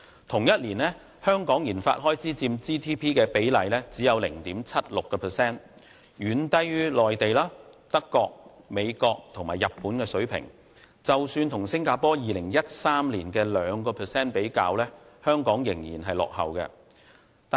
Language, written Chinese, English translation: Cantonese, 同年，香港的研發開支只佔 GDP 的 0.76%， 遠低於內地、德國、美國和日本的水平，即使與新加坡2013年約 2% 比較，香港仍然落後。, The RD expenditure of Hong Kong in the same year only accounted for 0.76 % of its GDP which was far lower than the corresponding expenditures of the Mainland Germany the United States and Japan and still lagged behind the RD expenditure of Singapore in 2013